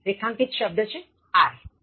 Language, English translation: Gujarati, Underlined word are, 4